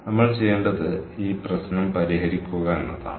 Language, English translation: Malayalam, what we have to do is we have to solve this problem